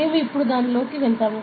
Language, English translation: Telugu, So, we will go into that now, ok